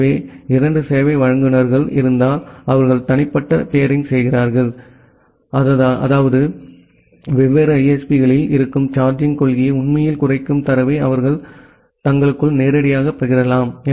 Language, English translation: Tamil, So, if 2 service providers they are having private peering; that means, they can directly share the data among themselves which actually reduces the charging policy which is being there in different ISPs